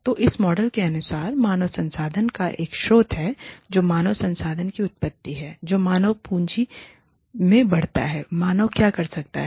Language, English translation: Hindi, So, according to this model, there is a source of human resource, which is the origin of human resource, that feeds into the human capital, what human beings can do